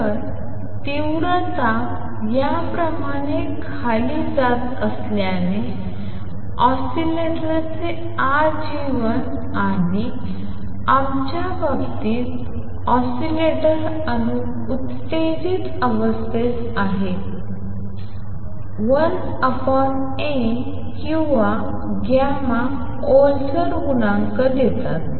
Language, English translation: Marathi, So, and since the intensity is going down like this, so lifetime of the oscillator and in the in our case the oscillator is the atom in the excited state is 1 over A or 1 over gamma the gamma is damping coefficient